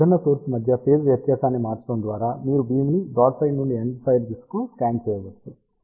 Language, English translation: Telugu, And just by changing the phase difference between the different element, you can scan the beam from broadside to all the way to the endfire direction